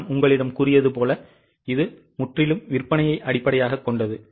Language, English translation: Tamil, As I have told you it is totally based on sales first of all